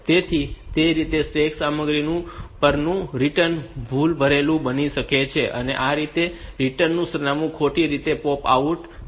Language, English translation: Gujarati, So, that way the return at the stack content may become erroneous and this return address may be popped out wrongly